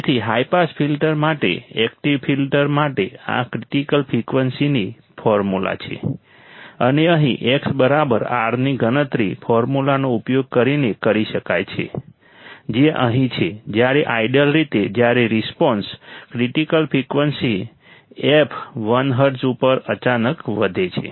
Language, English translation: Gujarati, So, this is the critical frequency formula for an active filter for the high pass filter and here x equals to R can be calculated using the formula which is here when ideally the response rises abruptly at the critical frequency f l hz